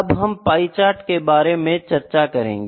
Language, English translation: Hindi, So, this is pie chart, how do we plot the pie chart